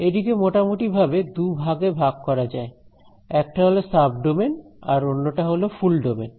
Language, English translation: Bengali, There are broadly two classes one are called sub domain and the other are called full domain